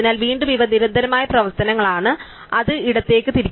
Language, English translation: Malayalam, So, again these are constant set of operations which implements rotate left